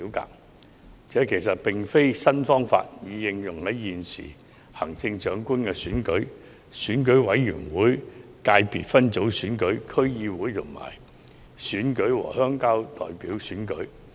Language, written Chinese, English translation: Cantonese, 其實這不是一個新方法，這個方法已應用在現時的行政長官選舉、選舉委員會界別分組選舉、區議會選舉和鄉郊代表選舉。, In fact it is not a new arrangement but has already been adopted in the Chief Executive Election Committee subsector DC and Rural Representatives elections